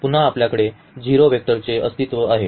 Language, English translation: Marathi, Again, so, we have this existence of the 0 vector